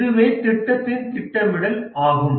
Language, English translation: Tamil, So that is project scheduling